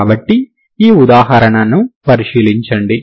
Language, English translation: Telugu, So will consider this example